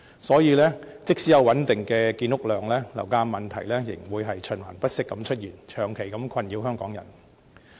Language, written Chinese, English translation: Cantonese, 所以，即使有穩定的建屋量，樓價問題仍會循環不息地出現，長期困擾香港人。, Therefore even though the housing production can remain stable the problem of high property prices will remain and frustrate Hong Kong people